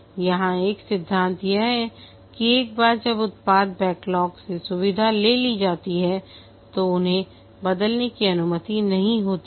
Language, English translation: Hindi, One of the principle here is that once the feature have been taken out from the product backlog, they are not allowed to change